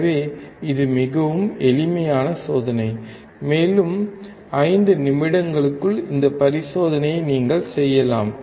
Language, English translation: Tamil, So, this is extremely simple experiment, and you can perform this experiment within 5 minutes